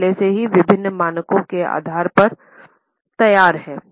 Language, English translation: Hindi, They are already prepared based on various standards